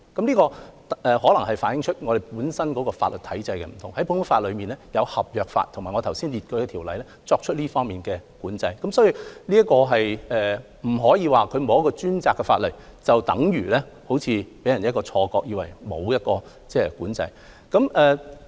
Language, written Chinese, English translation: Cantonese, 這可能是由於我們法律體制不同，在普通法中，有合約法及我剛才列舉的條例作出這方面的管制，所以不可以說沒有一項專責的法例，便等如完全沒有管制，這樣會予人一種錯覺。, That may be due to the difference in the legal systems adopted . Under the common law there is a contract law and there are also other ordinances that I cited which will impose regulation in this respect . Hence one should not say that without dedicated legislation there is no regulation as that will give people a wrong idea